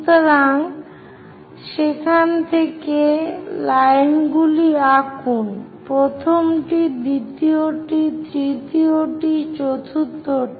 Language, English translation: Bengali, So, from there, draw a lines, first one, second one, third one, fourth one